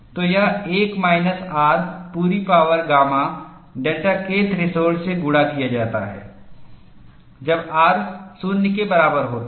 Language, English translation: Hindi, So, this is given as1 minus R whole power gamma multiplied by delta K threshold, when R equal to 0